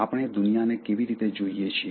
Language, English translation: Gujarati, How do we see the world